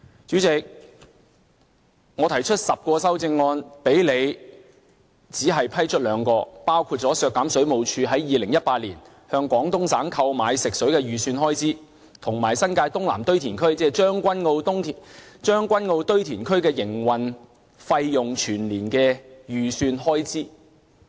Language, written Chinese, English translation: Cantonese, 主席，我提出10項修正案，但你只批出兩項，包括削減水務署在2018年向廣東省購買食水的預算開支，以及新界東南堆填區，即將軍澳堆填區的營運費用全年預算開支。, Chairman I have proposed 10 amendments but only 2 of them were approved by you including the amendment to reduce the estimated expenditure for the Water Supplies Department in purchasing fresh water from Guangdong Province in 2018 and the amendment to reduce the estimated full - year expenditure of the operating costs of the South East New Territories landfill which is also known as the Tseung Kwan O landfill